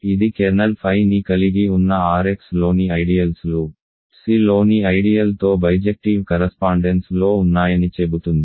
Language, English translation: Telugu, It says that ideals in R x containing kernel phi are in bijective correspondence with ideal in C